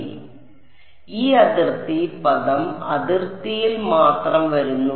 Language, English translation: Malayalam, So, that is why this boundary term is coming just on the boundary